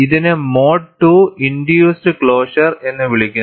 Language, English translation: Malayalam, And, this is called a mode 2 induced closure